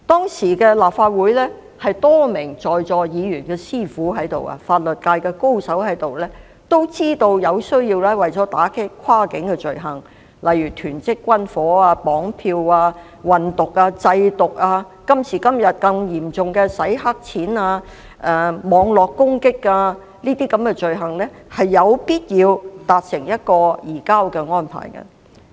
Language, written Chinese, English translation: Cantonese, 當時立法會中，有多名議員是法律界高手——他們是現時在座一些議員的師傅——也知道為了打擊一些跨境罪行，例如囤積軍火、綁票、運毒、製毒，以至今時今日，更嚴重的洗黑錢、網絡攻擊等罪行，有必要與國家達成移交安排。, Surely no one sought to bring charges against him either . Many Members of the Legislative Council at the time were conversant practitioners at law who are the mentors of some Members here now . They understood that a surrender agreement with China was necessary to combat cross - boundary crimes such as stockpiles of arms kidnapping drug trafficking and drug manufacturing or even more serious crimes such as money laundering and cyber - attacks nowadays